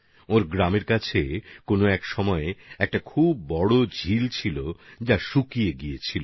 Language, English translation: Bengali, Close to her village, once there was a very large lake which had dried up